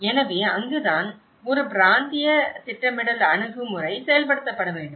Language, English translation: Tamil, So, that is where a regional planning approach should be implemented